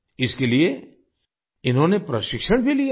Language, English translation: Hindi, They had also taken training for this